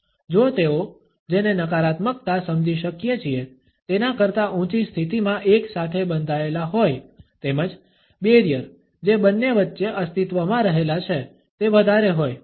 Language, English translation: Gujarati, If they are clenched together in a higher position then we can understand at the negativity as well as the barriers which exist between the two are higher